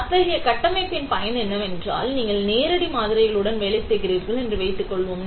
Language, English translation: Tamil, So, what is utility of such a structure is that, let us say you are working with live samples